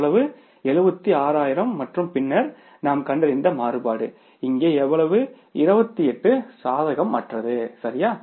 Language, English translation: Tamil, 7 160,000s and then the variance we have found out here is how much that is 28 unfavorable